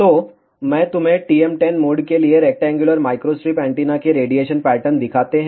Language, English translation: Hindi, So, let me show you the radiation pattern of the rectangular microstrip antenna for TM 1 0 mode